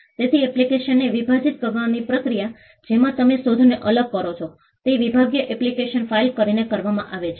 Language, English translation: Gujarati, So, the process of dividing an application, wherein, you separate the invention, is done by filing a divisional application